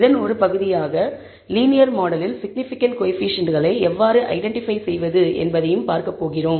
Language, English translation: Tamil, As a part of this, we are also going to look at how to identifying, significant coefficients in the linear model